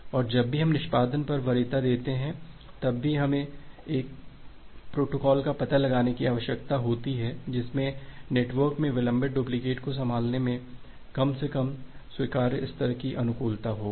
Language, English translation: Hindi, And whenever we give preference over performance still we need to find out a protocol, which will have at least acceptable level of conformation in handling the delayed duplicates in the network